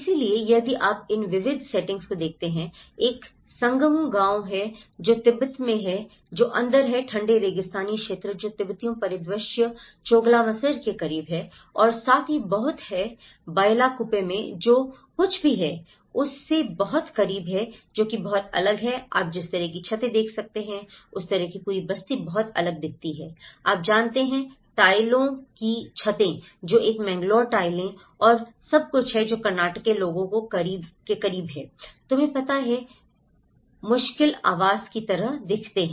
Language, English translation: Hindi, So, if you look at these diverse settings; one is Sangmu village which is in Tibet which is in the cold desert area which is close to the Tibetan landscape Choglamsar as well that very much close to what they belong to and in Bylakuppe which is very much different from what you can see the kind of roofs, the kind of whole settlement looks very different, you know the tiled roofs which is a Mangalore tiles and everything which is close to what Karnataka people you know, the hard dwellings look like